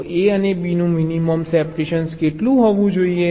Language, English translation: Gujarati, so, a and b: minimum, how much separation it should be